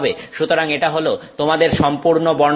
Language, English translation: Bengali, So, that is your full spectrum